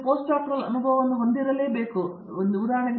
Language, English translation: Kannada, I think you should have postdoctoral experience